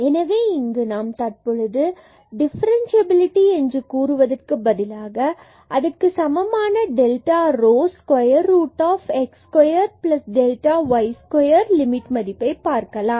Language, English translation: Tamil, So, here we will now show that this differentiability is equivalent to saying that this limit here delta rho which is square root delta x square plus delta y square